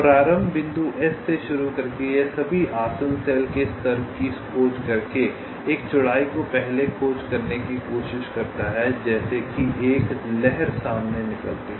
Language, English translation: Hindi, starting from the start point s, it tries to carry out a breadth first search by exploring all the adjacent cells level by level, as if a wave front is emanating